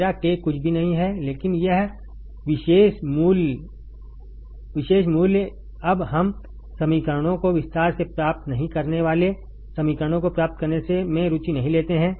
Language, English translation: Hindi, My k is nothing, but this particular value now we are not interested in deriving the equations not in detail deriving equations